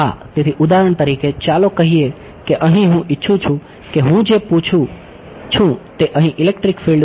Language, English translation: Gujarati, So, for example, let us say that here, I want what I am asking what is electric field over here that is the question